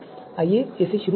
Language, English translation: Hindi, So let us run this